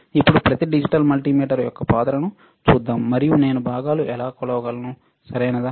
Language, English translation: Telugu, Now, let us see the role of each digital multimeter, and how I can measure the components, all right